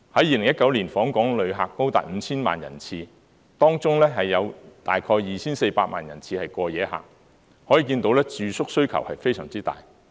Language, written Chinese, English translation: Cantonese, 2019年的訪港旅客高達 5,000 萬人次，當中有大約 2,400 萬人次是過夜旅客，可見住宿需要非常大。, The number of visitors to Hong Kong in 2019 was as high as 50 million person - trips 24 million person - trips of which were overnight visitors thus we can see that the accommodation demand was quite high